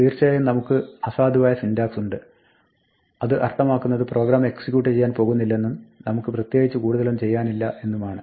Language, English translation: Malayalam, Of course, if we have invalid syntax; that means, the program is not going to run at all and there is not much we can do